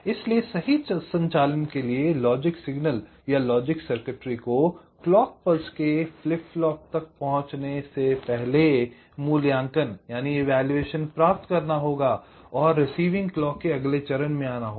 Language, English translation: Hindi, so for correct operation, the logic signal or logic circuitry or must complete it evaluations before ah, it reaches the flip flop and next stage of receive clocks comes